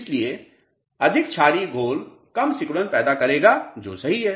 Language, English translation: Hindi, So, more basic solution would create less shrinkage that is right